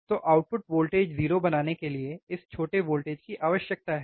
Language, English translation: Hindi, So, this small voltage which is required to make to make the output voltage 0, right